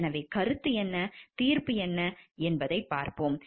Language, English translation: Tamil, So, we will see what is opinion and what is judgment